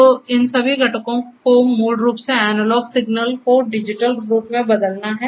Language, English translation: Hindi, So, all these components here are basically to change the analog signals to digital form